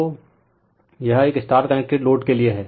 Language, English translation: Hindi, So, this is for a star connected load